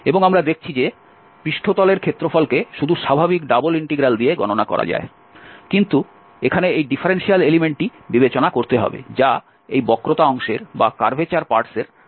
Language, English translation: Bengali, And we have seen that the surface area can be computed with just the usual double integral, but this differential element here has to be considered which will take care the difference between this curvature part and then we have, we are integrating over the plane